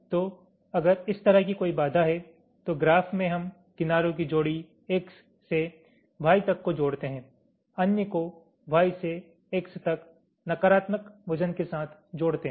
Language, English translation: Hindi, so if there is a constraints like this, then in the graph we add a pair of edges, one from x to y, other from y to x, with negative weights